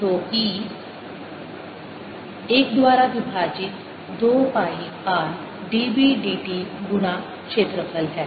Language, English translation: Hindi, so e comes out to be one over two pi r, d, b, d t times area